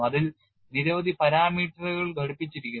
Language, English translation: Malayalam, There are so many parameters attached to it